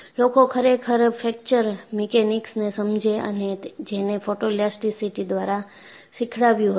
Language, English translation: Gujarati, You know, God really wanted people to understand fracture mechanics and he had taught you through photo elasticity